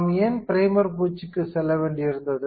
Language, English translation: Tamil, So, why we had to go for primer coating